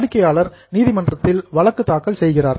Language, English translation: Tamil, Customer files a case in the court